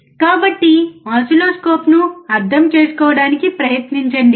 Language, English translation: Telugu, So, see guys try to understand oscilloscope, right